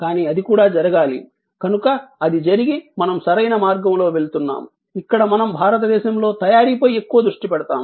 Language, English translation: Telugu, But, even that, even if that and that should happen, so even if that happens and we go on the right path, where we focus more and more on make in India